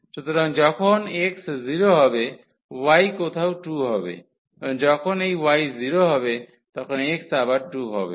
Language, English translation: Bengali, So, when x is 0 y is 2 somewhere and when this y is 0, x will be 2 again